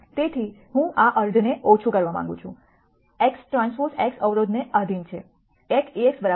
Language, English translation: Gujarati, So, I want to minimize this half; x transpose x subject to the constraint A x equal to b